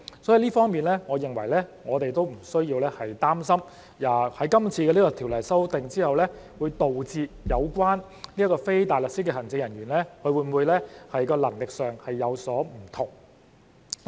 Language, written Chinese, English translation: Cantonese, 在這方面，我認為我們不需要擔心在今次的條例修訂後，會令人擔心非大律師律政人員在能力上會否有所不同。, In this regard I do not think we need to worry that after this legislative amendment exercise there will be concerns about the possible differences in the competence of legal officers